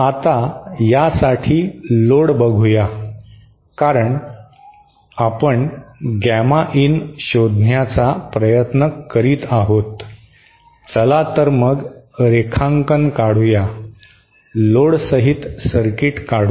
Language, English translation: Marathi, Now for this, let us just see the load since we are trying to find out gamma in, let us just draw the, let us just draw the circuit with the load in